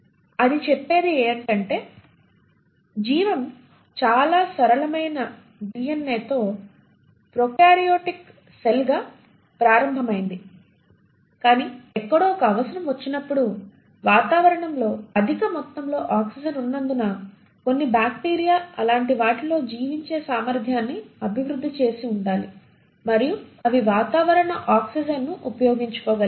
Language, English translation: Telugu, What it says is the life started as a prokaryotic cell with a very simple DNA, but somewhere around the time when there became a need, because of the atmosphere having high amounts of oxygen, some bacteria must have developed the ability to survive in such an oxidising conditions, and they were able to utilise atmospheric oxygen and hence were aerobic bacteria